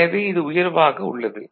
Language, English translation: Tamil, So, this is higher right